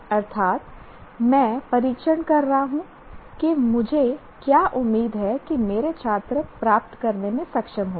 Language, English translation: Hindi, That is, I am testing what I am expecting my students to be able to attain